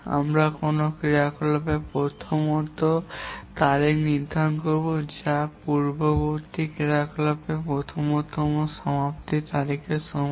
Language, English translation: Bengali, We will assign the earliest start date to an activity which is equal to the earliest finish date for the previous activity